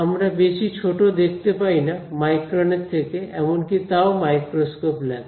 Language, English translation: Bengali, We cannot see much less than I mean micron also we need a microscope right